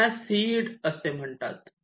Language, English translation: Marathi, initially you call it the seed